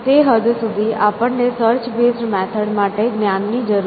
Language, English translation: Gujarati, So, that extent we do need knowledge for search base methods essentially